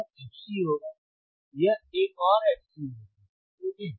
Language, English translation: Hindi, This will be fc, this will be another fc, right